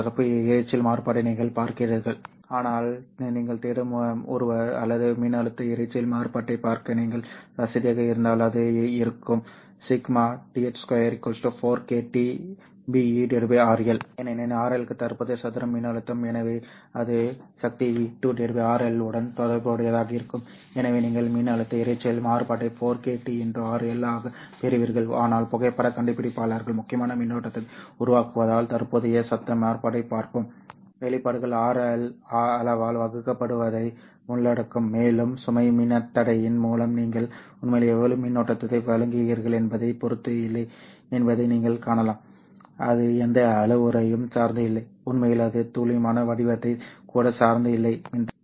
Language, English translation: Tamil, You are looking at current noise variance but if you are someone who is looking or you are comfortable with looking at the voltage noise variance it would be 4 k t into rl because current square into rl is voltage so that can be related to the power v square by rl and therefore you get voltage noise variance as 4 kt into rl but because phototectors mainly generate current we will look at the current noise variance the expressions will involve divided by rl quantity and you can see that it doesn't depend on how much current you are actually providing through the load register it doesn't depend on any of that parameter it in fact does not even depend on the precise shape of the resistor okay it all that shape and everything is captured in this rl and it simply depends on what is the value of the resistor and what temperature this is working in okay in addition to this thermal noise we have seen short noise in both p iI N as well as APDs, although with APDs you also get a multiplication noise or a multiplicative noise mainly because of this multiplication factor M